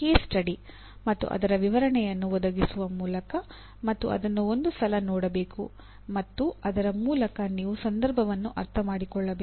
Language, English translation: Kannada, By providing a case study, a description of a case study and running through that and through that you have to understand the context